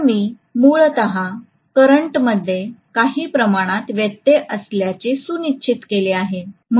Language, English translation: Marathi, So I have essentially made sure that the current is somewhat interrupted